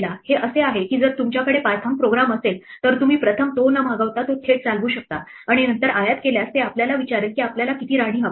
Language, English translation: Marathi, This is by the way if you have a python program you can run it directly without first invoking it and then importing it if you do this it will ask us how many queens we want